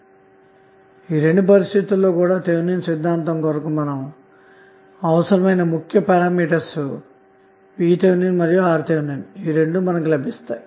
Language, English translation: Telugu, So with these two conditions you can find the value of the important parameters which are required for Thevenin’s theorem which are VTh and RTh